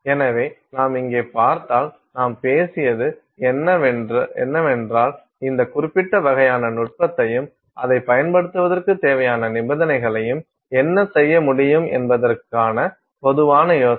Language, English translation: Tamil, So, if you see here there is what we spoke about is the general idea of what you can do with this particular kind of technique and the kind of conditions that are required for using it